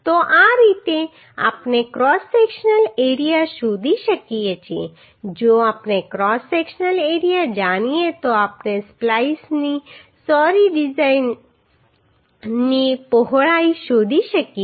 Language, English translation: Gujarati, So this is how we can find out the cross sectional area now if we know the cross sectional area then we can find out the width of splice sorry thickness of splice